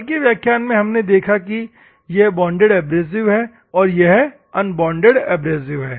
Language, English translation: Hindi, Yesterday we saw in the class that it is a bonded abrasive unbonded abrasive